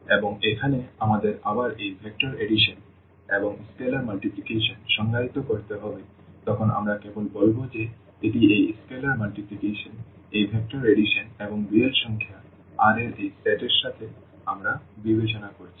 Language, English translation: Bengali, And, here we need to define again this vector addition and scalar multiplication then only we will say that this is a vector space with respect to this scalar multiplication, this vector addition and this set of real number R which we are considering